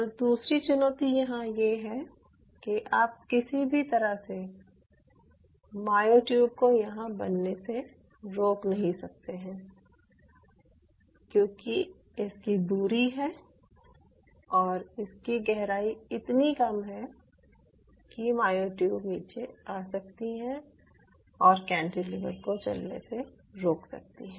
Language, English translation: Hindi, and secondly, there is another challenge to this: there is no way that you can prevent the myotubes forming here, and the distance is so less, or the depth is so profile, so less, that those myotubes may come in the bottom and can occlude the motion of the cantilever motion